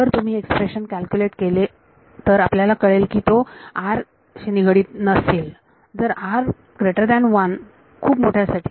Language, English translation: Marathi, If you calculate this expression this would turn out to be independent of r for r greater than 1 for very large